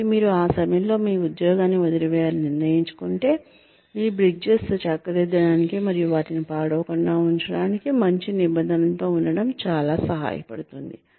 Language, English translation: Telugu, So, if you have decided to leave your job, at that point, it will be very helpful to be on good terms, to mend your bridges, and not burn them